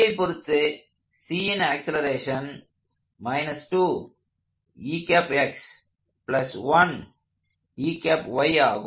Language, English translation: Tamil, So this is the velocity of B